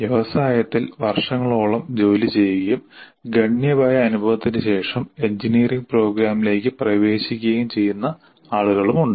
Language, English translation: Malayalam, You have people who have worked for several years in the industry and are entering into an engineering program after considerable experience